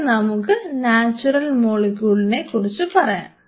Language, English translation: Malayalam, I have talked about these 2 now let us talk about a natural molecule